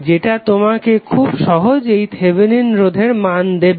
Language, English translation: Bengali, That will give you simply the Thevenin resistance